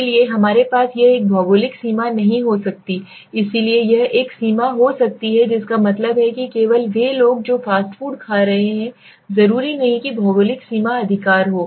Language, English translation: Hindi, So we have a it might be not geographical boundary has such so it could be a boundary that is there is a limitation that means only people who are eating fast food not necessarily geographical boundary right